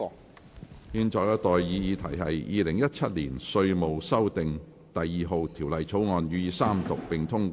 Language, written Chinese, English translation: Cantonese, 我現在向各位提出的待議議題是：《2017年稅務條例草案》予以三讀並通過。, I now propose the question to you and that is That the Inland Revenue Amendment No . 2 Bill 2017 be read the Third time and do pass